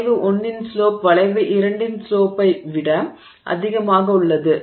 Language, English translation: Tamil, The slope in the case of curve 1 is greater than the slope in case of curve 2